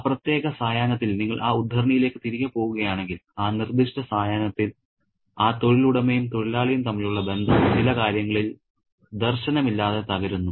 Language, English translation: Malayalam, And that particular evening, if you go back to that extract, that particular evening, that bond, that employer employee bond is visionlessly broken in some respects